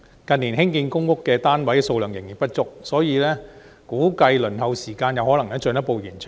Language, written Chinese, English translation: Cantonese, 近年興建公屋單位數量仍然不足，估計輪候時間有可能會進一步延長。, As the number of public housing units constructed has fallen short of demand in recent years it is estimated that the waiting time will extend further still